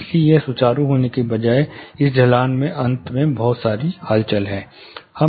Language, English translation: Hindi, So, this instead of being smooth, this slope eventually has lot of undulations